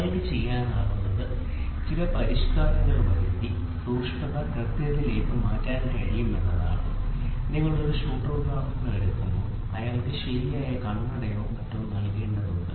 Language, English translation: Malayalam, So, then what we can do is we can shift the precision to accurate by doing some modification, may be when you take a shooter example he has to be given proper spectacles or something